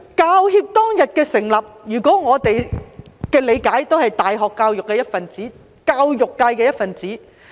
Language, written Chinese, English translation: Cantonese, 教協當天的成立，據我們的理解，我們大學教育也是教育界的一分子。, Regarding the establishment of HKPTU back then we understand that university education is also part of the education sector